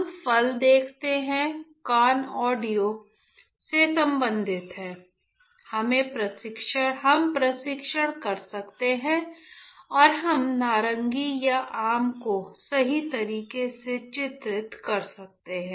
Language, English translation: Hindi, We can see the fruit right vision somebody telling us ear audio, we can test and we can delineate various orange or mango right